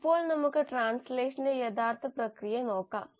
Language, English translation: Malayalam, Now let us look at the actual process of translation